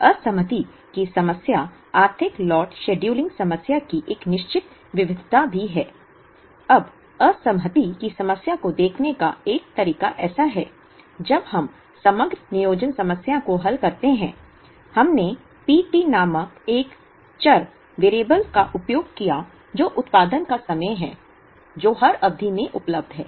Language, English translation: Hindi, Disaggregation problem is also a certain variation of the economic lot scheduling problem; now one way of looking at the disaggregation problem is like this, when we solve the aggregate planning problem, we used a variable called P t which is the production time that is available in every period